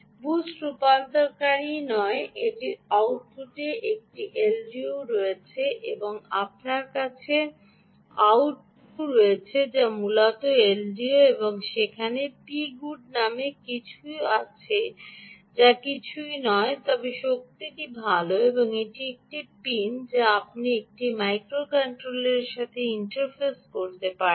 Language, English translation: Bengali, you can see that there is an l d o, so its a chip that not only has a boost converter, boost converter, it also has an l d o at the output and you have out two, which is essentially the l d o output, and there is something called p good, which is nothing but the power good, and this is a output ah pin which you can interface to a microcontroller